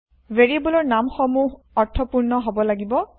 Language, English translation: Assamese, Variable names should be meaningful